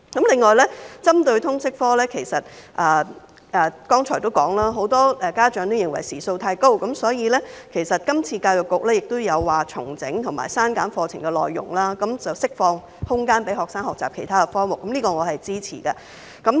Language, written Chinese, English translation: Cantonese, 另外，針對通識科，我剛才也提到，很多家長認為時數太高，所以今次教育局也表示要重整和削減課程的內容，釋放空間予學生學習其他科目，此舉我是支持的。, In addition as I mentioned just now many parents consider the number of LS course hours too high and that is why this time round EDB has also indicated the intention to reorganize and reduce the curriculum content so as to free up space for students to learn other subjects which has my support